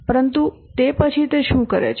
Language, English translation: Gujarati, But after that what does he do